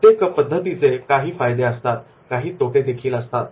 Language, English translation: Marathi, But every method is having certain advantages and disadvantages